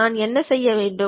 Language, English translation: Tamil, What I have to do